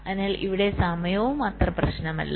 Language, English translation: Malayalam, so here time is also not that much of an issue